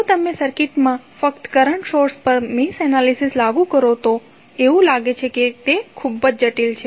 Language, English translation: Gujarati, If you apply mesh analysis to the circuit only the current source it looks that it is very complicated